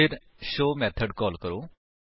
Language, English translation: Punjabi, Then call the method show